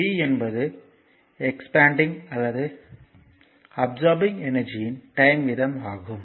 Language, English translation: Tamil, So, power is the time rate of a expanding or a absorbing energy